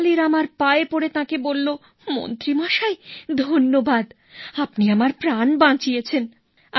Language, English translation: Bengali, Falling at feet of Tenali Rama, he said, "thank you minister you saved my life